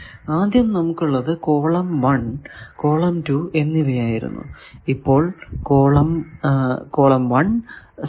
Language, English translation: Malayalam, Earlier we have column 1 with column 2